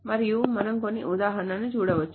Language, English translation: Telugu, And we can see some more example